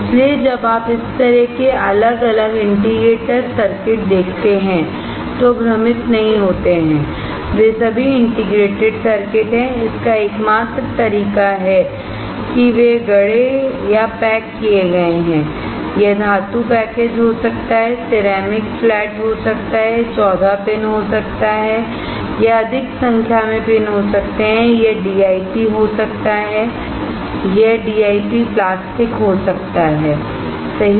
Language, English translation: Hindi, So, when you come across this kind of different indicator circuit do not get confused, they are all integrated circuits its only way they are fabricated or packaged, it can be metal package, it can be ceramic flat, it can be 14 pin, it can be more number of pins, it can be DIP it can be DIP plastic, right